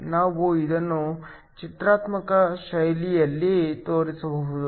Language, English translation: Kannada, We can show this in a graphical fashion